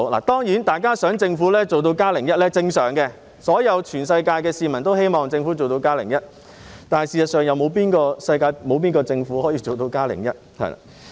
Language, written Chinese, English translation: Cantonese, 當然，大家希望政府做到"加零一"是正常的，世界上所有人民都希望政府可以做到"加零一"，但事實上，有哪個政府可以做到"加零一"？, Of course it is normal for everyone to expect outstanding performance from the Government . All people in the world wish that their Government can do so . But in fact which government is able to deliver outstanding perform?